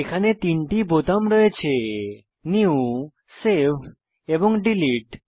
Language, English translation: Bengali, It has three buttons New, Save and Delete